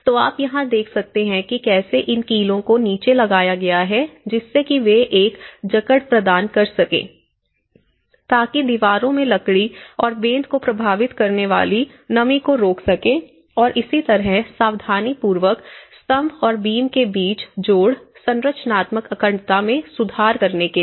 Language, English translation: Hindi, So, this is what you can see here and these nails have been embedded into this, at the base to give extra anchorage and use of concrete wall basis to prevent humidity affecting the wood and the canes in the walls and similarly, careful jointing between the columns and beams to improve structural integrity